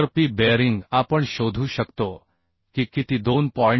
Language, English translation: Marathi, 46 So p bearing we can find out will be how much 2